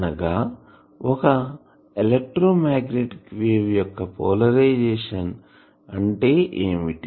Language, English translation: Telugu, So, what is the polarisation of the, of an electromagnetic wave